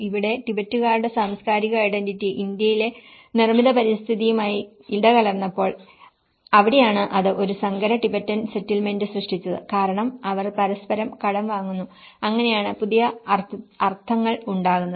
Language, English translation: Malayalam, Here, the cultural identity of Tibetans when it gets mixed with the built environment in India and then and that is where this has produced a hybrid Tibetan settlement because they borrow from each other and that is how a new meanings are produced